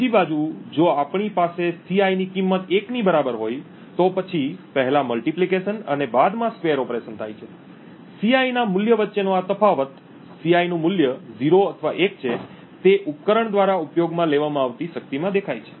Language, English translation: Gujarati, On the other hand if we have a value of Ci to be equal to 1, then the square operation is followed by the multiplication operation, this difference between a value of Ci whether the value of Ci is 0 or 1 shows up in the power consumed by that device